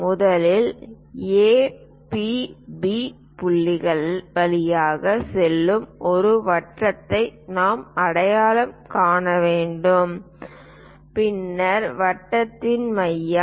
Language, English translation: Tamil, First of all we have to identify a circle passing through A, P, B points and then centre of the circle